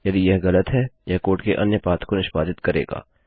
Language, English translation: Hindi, If it is False, it will execute another path of code